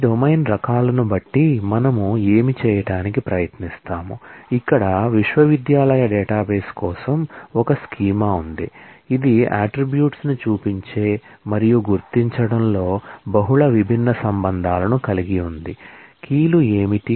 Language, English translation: Telugu, Given all these domain types; so, what we will try to do is, here is a schema for the university database, which has multiple different relations designed in that showing the attributes and marking out, what are the keys